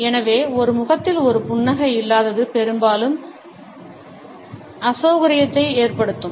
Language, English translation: Tamil, So, the absence of a smile on a face can often be disconcerting